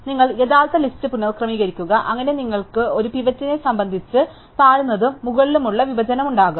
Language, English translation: Malayalam, So, you rearrange the original list, so that you have a lower and upper partition with respect to a pivot